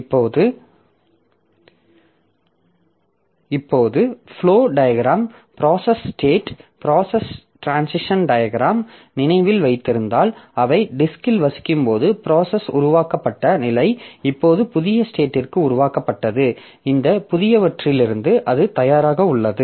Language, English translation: Tamil, Now if you remember that process flow diagram, the process state transition diagram, so we have said that the processes when they are residing in the disk, so this is the created state now created to the new state that is by this adverted